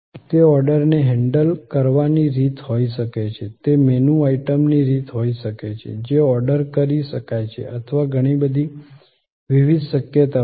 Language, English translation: Gujarati, That could be the way orders are handle; that could be the way of menu item is can be ordered or so many different possibilities are there